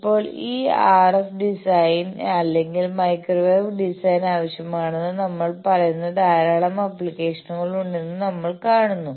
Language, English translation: Malayalam, Now, we see that there are lot of applications where these RF design or microwave design, we say is needed